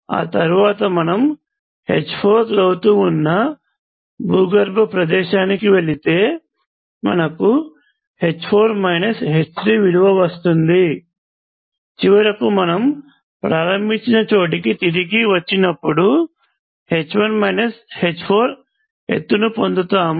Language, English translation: Telugu, And then maybe you will walk down to some underground place, so you will have h 4 minus h 3, and finally, you come back to where you started off with you will gain a height of h 1 minus h 4